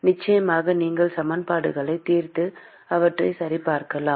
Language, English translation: Tamil, Of course, you can solve the equations and verify them